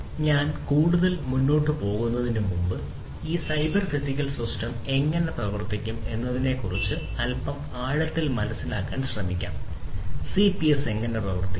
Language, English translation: Malayalam, So, before I go any further, let us again try to understand in little bit of depth about how this cyber physical system, CPS is going to work right; how the CPS is going to work